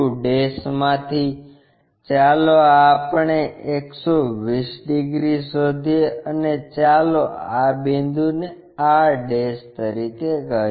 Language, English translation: Gujarati, From q', let us locate this 120 degrees and let us call this point as r'